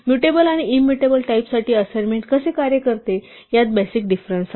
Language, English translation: Marathi, There is a fundamental difference will how assignment works for mutable and immutable types